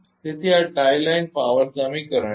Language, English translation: Gujarati, So, this is the tie line power equation